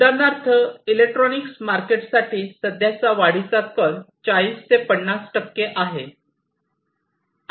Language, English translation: Marathi, So, for example for electronics market, the current growth trend is about 40 to 50 percent